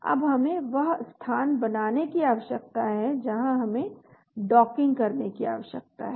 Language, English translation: Hindi, now we need to now create the location where we need to do the docking